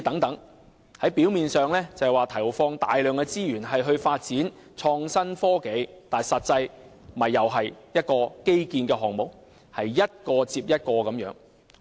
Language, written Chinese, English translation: Cantonese, 政府表面上投放大量資源發展創新科技，但實際上又是一項基建項目，是一個接一個的模樣。, The Government appears to be putting a lot of resources in developing innovation and technology but practically this is another infrastructure projects coming one after another